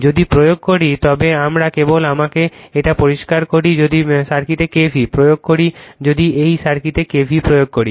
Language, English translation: Bengali, If you apply we just let me clear it if you apply K v l in the circuit if you apply K v l in this circuit, right